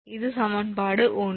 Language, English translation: Tamil, So, that is 1